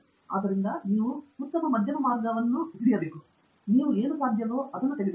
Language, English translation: Kannada, So, you have to hit a nice middle path; you take what is possible